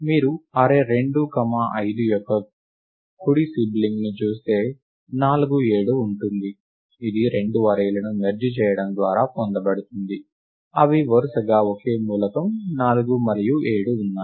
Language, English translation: Telugu, If you look at the sibling, the right sibling of the array 2 5, it is 4 7 which is obtained by merging the two arrays, which have just a single element 4 and 7 respectively